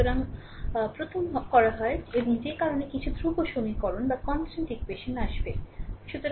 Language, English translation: Bengali, So, what we can do is first and because of that some constant equation will come